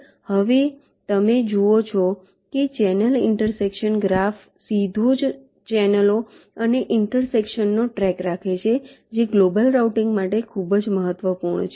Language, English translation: Gujarati, right now, you see, the channel intersection graph directly keeps track of the channels and intersections, which is important for global routing